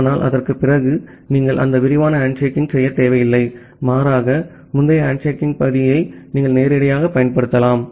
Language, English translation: Tamil, But after that, you do not need to do that detailed handshaking rather you can directly use the previous handshaking part the connection that has already been established to send further data